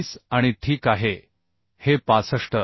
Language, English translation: Marathi, 25 and ok this is coming as 65